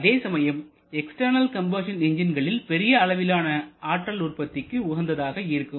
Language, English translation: Tamil, But at the same time external combustion engines are more suitable for large scale power generation